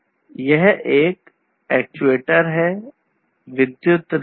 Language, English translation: Hindi, So, this is an actuator; this is an electric relay